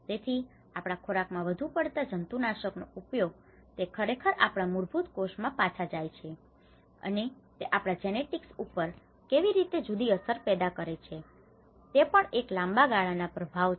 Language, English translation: Gujarati, So, also the pesticidization like usage of heavy pesticides in our foods, how it is actually going back to our cells, basic cells, and how it is creating a different effects on our genetics, that is also the long run impacts